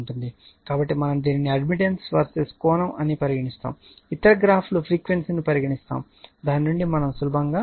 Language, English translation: Telugu, So, we this your what you call several admittance verses angle other graphs are shown frequency right from that you can easily you can easily justify this one